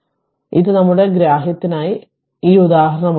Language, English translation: Malayalam, So, this is what we take this example for our understanding right